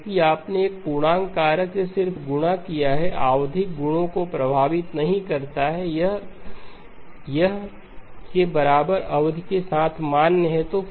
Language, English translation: Hindi, Because you have just multiplied omega by an integer factor did not affect the periodicity properties, this is valid with period equal to 2pi by L